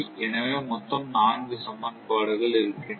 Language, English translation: Tamil, So, there are four equations; four equations